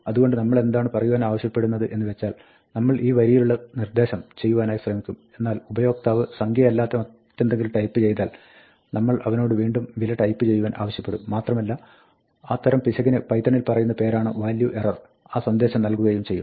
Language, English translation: Malayalam, So, what we want to say is, we will try these lines, but if the user types something which is not a number, then, we are going to ask him to type it again and it will turn out that, that type of error in python is called a value error